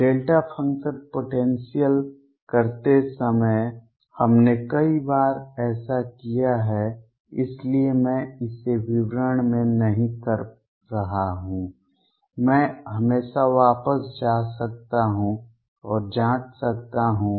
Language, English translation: Hindi, This we have done many times while doing the delta function potential, so I am not doing it in the details here I can always go back and check